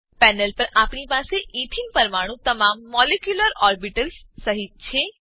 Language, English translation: Gujarati, On the panel, we have ethene molecule with all the molecular orbitals